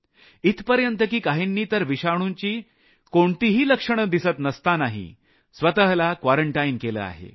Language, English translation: Marathi, They have quarantined themselves even when they were asymptomatic